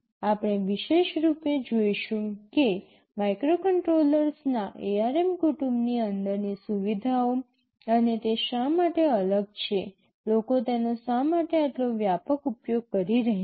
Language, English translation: Gujarati, We shall specifically see what are the features that are inside the ARM family of microcontrollers and why they are different, , why people are using them so widely